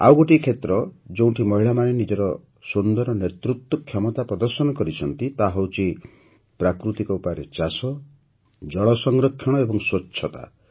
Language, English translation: Odia, Another area where women have demonstrated their leadership abilities is natural farming, water conservation and sanitation